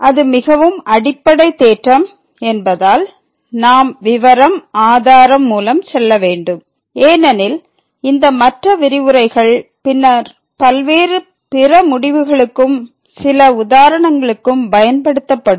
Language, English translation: Tamil, And since it is a very fundamental theorem so we will also go through the detail proof because this will be used for various other results in other lectures and then some worked examples